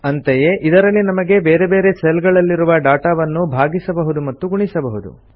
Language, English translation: Kannada, Similarly, one can divide and multiply data in different cells